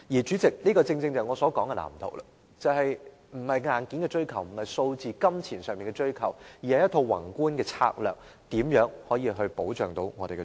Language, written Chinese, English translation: Cantonese, 主席，這正正便是我所說的藍圖，也就是並非硬件的追求，亦不是數字和金錢上的追求，而是一套宏觀的策略，說明如何保障我們的長者。, President this is exactly what I mean by blueprint . In other words it is not about a pursuit of hardware; nor is it about meeting numbers and obtaining funds but a macroscopic strategy setting out how we can afford protection to our elderly